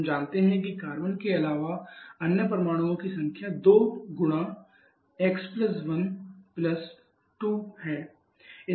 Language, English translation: Hindi, So, we know that has to be 2 twice of the number of carbon +2, so it will be 2 into x + 1 + 2